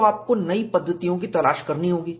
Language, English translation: Hindi, So, you have to look for newer methodologies